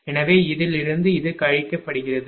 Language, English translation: Tamil, So, this from this one this is getting subtracted